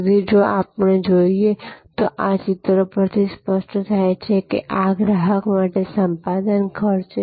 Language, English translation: Gujarati, So, if we look at therefore, this picture it becomes clearer, this is the acquisition cost for the customer